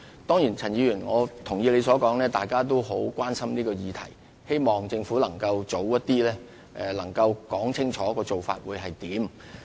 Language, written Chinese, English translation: Cantonese, 當然，我也同意陳議員所說，大家都很關心這議題，希望政府能盡早清楚說明有關的做法。, I certainly agree with Ms CHAN that people are very concerned about this and hope that the Government would make a clear account of the relevant arrangement as early as possible